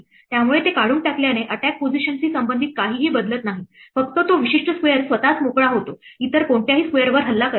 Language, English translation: Marathi, So, removing it does not actually change anything regarding the attack position only makes that particular square itself free does not unattack any of the other squares